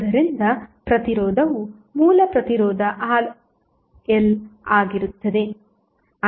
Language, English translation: Kannada, So, the resistance will be intact the original resistance Rl